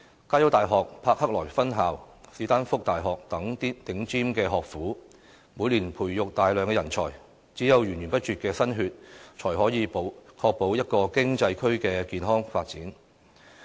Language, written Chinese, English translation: Cantonese, 加洲大學柏克萊分校、史丹福大學等頂尖學府，每年培育大量人才，只有源源不絕的"新血"，才可以確保一個經濟區的健康發展。, The top - notch universities help nurture a large number of talents every year . Only a steady supply of new bloods can ensure the healthy development of an economic zone